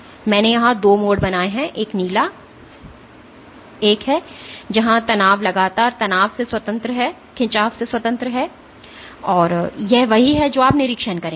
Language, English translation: Hindi, And I have drawn 2 curves here one a blue one where stress is constant independent of the strain, this is what you will observe